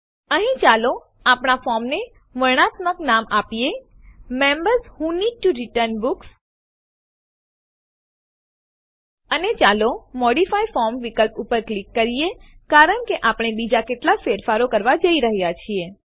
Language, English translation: Gujarati, Here let us give a descriptive name to our form: Members Who Need to Return Books And let us click on the Modify form option, as we are going to do some more changes